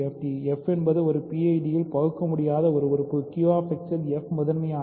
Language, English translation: Tamil, So, f is an irreducible element in a PID so, f is prime in Q X